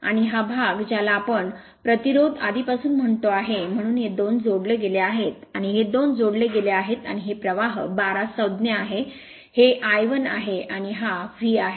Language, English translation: Marathi, And this part we call already told you load resistance, so these two are added and these two are added and this is the current I 2 term this is I 1 and this is my V right